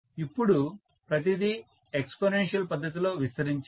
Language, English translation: Telugu, And now, everything has proliferated in exponential fashion